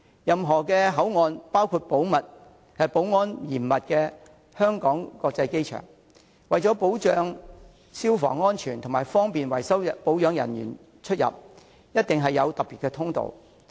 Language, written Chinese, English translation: Cantonese, 任何口岸，包括保安嚴密的香港國際機場，為了保障消防安全及方便維修保養人員出入，一定有特別通道。, In any port area including the Hong Kong International Airport where security is tight special passageways will certainly be provided for the purposes of fire safety and convenient access of repair and maintenance personnel